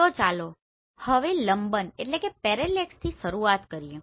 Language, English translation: Gujarati, So let us start with the first one